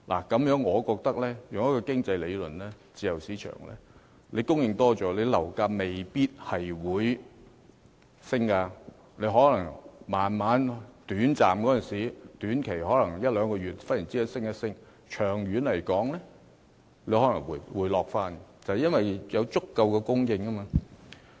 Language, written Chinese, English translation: Cantonese, 根據經濟理論，自由市場的供應增加，樓價未必會上升，短期的一兩個月內可能忽然上升，長遠而言則可能回落，因為市場有足夠的供應。, According to the economic theory with an increased supply of properties in the free market the prices may not go up . The prices may suddenly surge in the short term say one or two months but in the long run the prices will likely go down because of sufficient supply